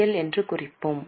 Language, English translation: Tamil, So we will mark it as CL